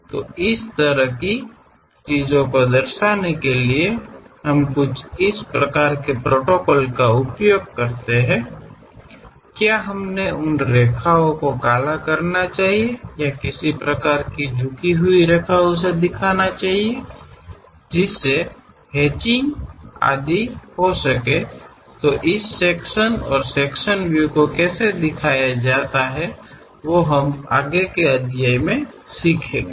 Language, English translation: Hindi, So, to represent this kind of things, we use certain kind of protocols; whether we should really darken those lines or show some kind of inclined lines, hatching and so on; this kind of representation what we will learn for this sections and sectional views chapter